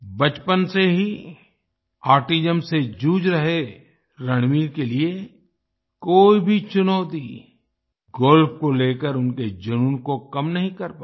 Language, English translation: Hindi, For Ranveer, who has been suffering from autism since childhood, no challenge could reduce his passion for Golf